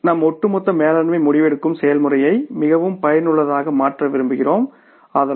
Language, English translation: Tamil, Because we want to make our overall management decision making process very very effective